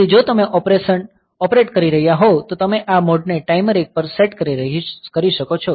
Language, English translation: Gujarati, So, if you are operating then you can set this mode to timer 1